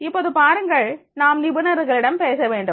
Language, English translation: Tamil, Now you see that is the we talk about the experts